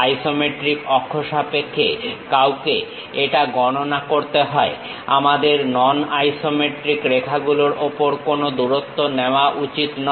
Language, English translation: Bengali, One has to count it in terms of isometric axis, we should not literally take any length on non isometric lines